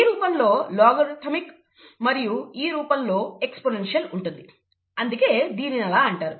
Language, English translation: Telugu, Logarithmic in this form, exponential in this form, and that is the reason why it is called so